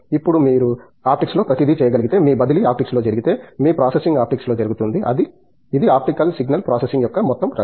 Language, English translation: Telugu, Now, if you can do everything in optics, where your transfer happens in optics, your processing happens in optics, that’s the whole area of optical signal processing